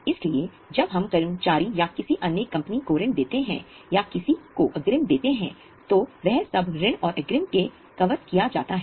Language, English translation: Hindi, So if company gives loan to somebody or advance to somebody it is considered as a loans and advances